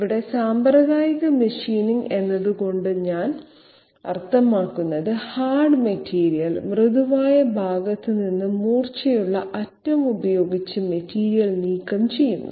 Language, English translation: Malayalam, By conventional machining here I mean hard material removing material from a soft softer part with the help of a sharp edge